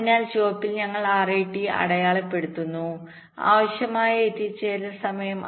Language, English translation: Malayalam, so in red we are marking r a t, required arrival time